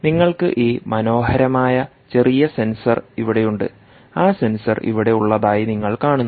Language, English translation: Malayalam, ah, you have this nice little ah sensor here, that sensor that you see